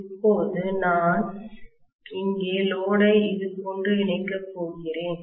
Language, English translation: Tamil, Now I am going to connect the load here, like this